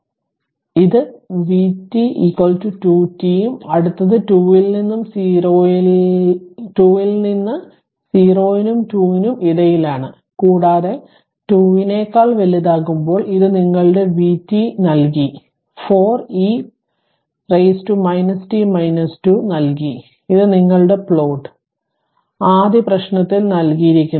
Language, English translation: Malayalam, So, it is vt is equal to 2 t and next one your what you call and from 2 this in between 0 and 2 and when t greater than 2 your vt this this was given, 4 e to the power minus t minus 2 this was given and this is the plot of your that vt this one that is given in the first problem right